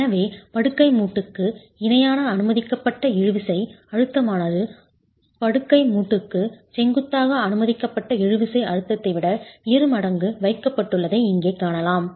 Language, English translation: Tamil, So you can see that the tensile strength here that the permissible tensile stress parallel to the bed joint is kept twice as that of the permissible tensile stress perpendicular to the bed joint